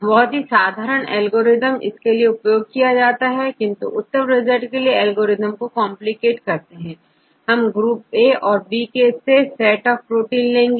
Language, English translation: Hindi, Since, a very simple algorithm right, but you can complicate the algorithm when you refine the results; simply what we do, we have the set of proteins from group A and group B